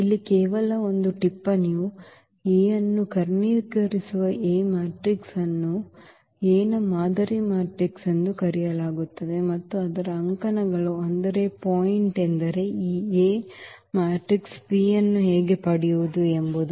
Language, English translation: Kannada, So, just a note here that this matrix P which diagonalizes A is called the model matrix of A and whose columns, I mean the point is how to find this A matrix P